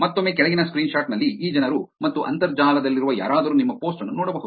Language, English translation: Kannada, Again in the bottom screenshot which showing you these people and anyone on the internet can see your post